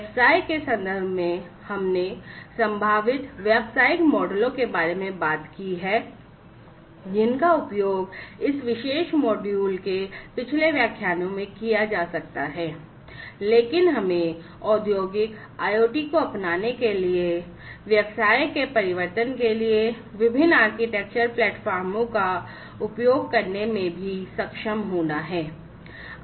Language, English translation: Hindi, So, so far in the context of the business, we have talked about the possible business models, that could be used in the previous lectures in this particular module, but we should be also able to use the different architectural platforms for transformation of the business for the adoption of Industrial IoT